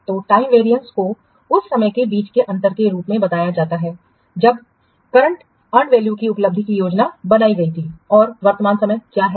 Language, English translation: Hindi, So, time variance is defined at the difference between the time when the achievement of the current and value was planned to occur and what is the time current now